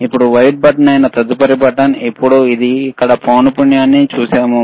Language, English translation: Telugu, Now, next button which is a white button, now we have seen this is a frequency here